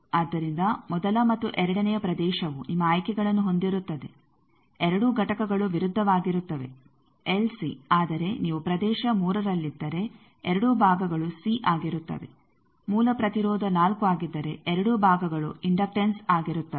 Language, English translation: Kannada, So, first and second region they will have your choices both the components are opposite LC whereas, if you are in region 3 then both parts are C, if original impedance is 4 then both parts are inductances